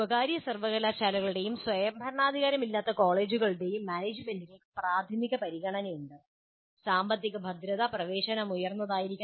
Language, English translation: Malayalam, Now, management of private universities and non autonomous colleges have their primary concern as a financial viability which requires admission should be high